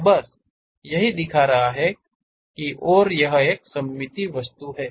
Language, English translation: Hindi, So, just showing and this is a symmetric object